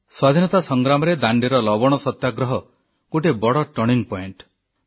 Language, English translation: Odia, In our Freedom struggle, the salt satyagrah at Dandi was an important turning point